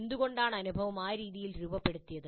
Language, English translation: Malayalam, So why the experience has been framed that way